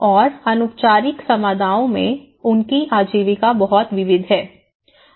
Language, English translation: Hindi, And the informal communities, they have a very diverse livelihoods